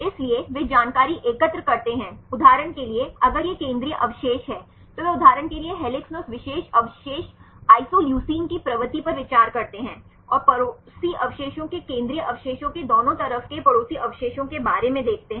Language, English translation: Hindi, So, they collect the information for example, if this is the central residues, they consider the propensity of that particular residue isoleucine in helix for example, and see the neighboring residues about the propensity of the neighboring residues on both sides of the central residues